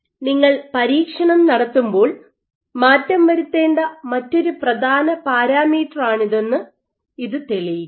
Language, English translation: Malayalam, So, this shows you this is another important parameter that you must tweak in your experiments